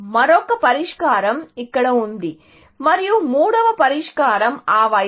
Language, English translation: Telugu, Another solution is here, and the third solution is that side, essentially